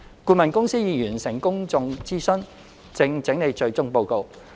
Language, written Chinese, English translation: Cantonese, 顧問公司已完成公眾諮詢，正整理最終報告。, The consultant has completed a public consultation exercise and is in the process of compiling the final report